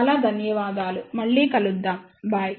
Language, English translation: Telugu, So thank you very much, see you next time bye